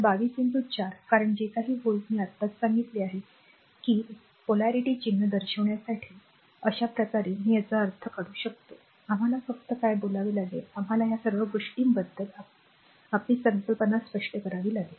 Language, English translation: Marathi, So, 22 into 4 because whatever volt I told you just now that to showing polarity sign, this way you can I means just you have just we have to your what you call, we have to clear our concept about all this things